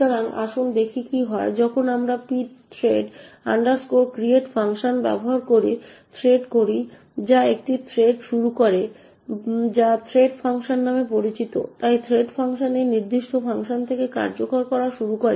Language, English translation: Bengali, So, let us see what happens when we actually created thread using the pthread create function which starts a thread known as threadfunc, so the threadfunc starts to execute from this particular function